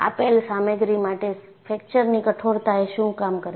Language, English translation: Gujarati, For the given material, what is a fracture toughness